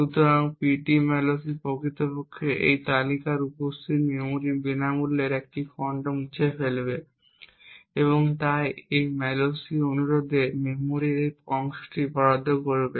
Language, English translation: Bengali, So, ptmalloc would in fact remove a free list chunk of memory present in this list and allocate this chunk of memory to this malloc request